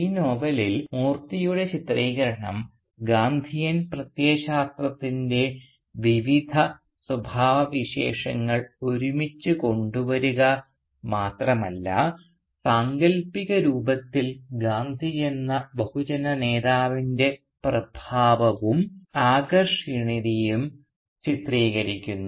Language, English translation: Malayalam, Thus Moorthy’s portrayal in this novel not only brings together the various traits of Gandhian ideology but also beautifully presents in a fictional form the charisma and the appeal of the figure of Gandhi as a mass leader